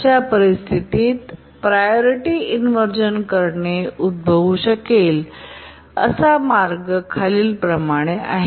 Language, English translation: Marathi, Now let's see how the priority inversion in such a situation can arise